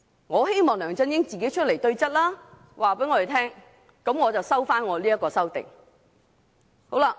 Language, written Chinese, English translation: Cantonese, 我希望梁振英自己出來對質，向我們交代，我便會撤回這項修正案。, I hope LEUNG Chun - ying will come forward himself to confront us and give us an explanation . Then I will withdraw this amendment